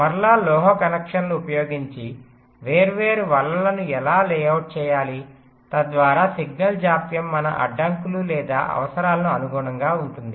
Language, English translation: Telugu, so again, so how to layout the different nets, using metal connections typically, so that the signal delays conform to our constraints or requirements